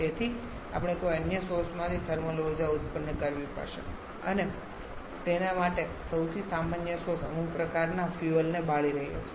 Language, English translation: Gujarati, Therefore we have to produce thermal energy from some other source and most common source for that is burning some kind of fuel